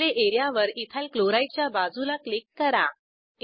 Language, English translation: Marathi, Click on the Display area, beside Ethyl Chloride